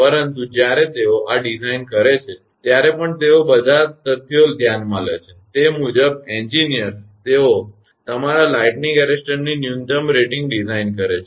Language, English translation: Gujarati, But even when they design these, they consider all the facts and accordingly that engineers; they design your minimum rating of the lightning arrestors